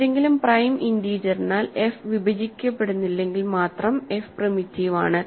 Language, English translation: Malayalam, f is primitive if and only if f is not divisible by any prime integer, right